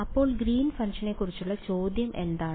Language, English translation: Malayalam, So, the question about what about Green’s function